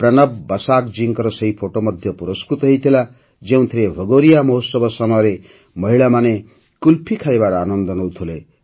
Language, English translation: Odia, A picture by PranabBasaakji, in which women are enjoying Qulfi during the Bhagoriya festival, was also awarded